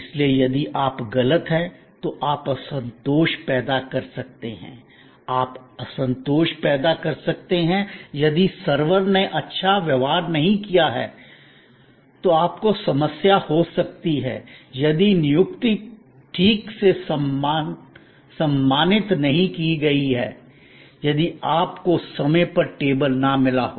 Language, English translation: Hindi, So, you can create dissatisfaction if the billing is wrong, you can create dissatisfaction if the food is wrong, you can create dissatisfaction if the server did not behave well, you can have problem if the appointment is not properly honoured, you did not get your table on time and so on and so on